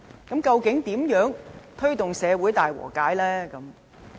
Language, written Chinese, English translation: Cantonese, 如何推動社會大和解？, How to promote reconciliation in society?